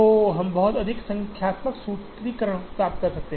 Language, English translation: Hindi, So, we get much more numeric formulation